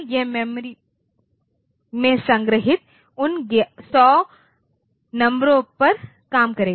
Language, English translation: Hindi, It will do it will operate on those 100 numbers stored in the memory